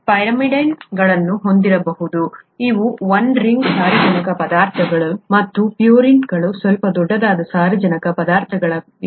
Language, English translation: Kannada, You could have pyrimidines which are these one ring nitrogenous substances and purines which are slightly bigger nitrogenous substances, okay